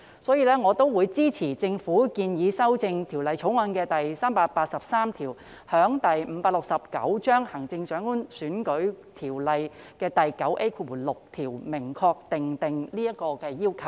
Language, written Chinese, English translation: Cantonese, 所以，我會支持政府建議修正《條例草案》第383條，在《行政長官選舉條例》第 9A6 條明確訂定這個要求。, For this reason I support the proposal of the Government to amend clause 383 of the Bill to clearly set out such a requirement in the proposed section 9A6 of the Chief Executive Election Ordinance Cap . 569